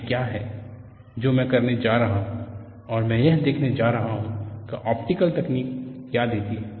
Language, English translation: Hindi, This is what I am going to do and I am going to see what that optical technique gives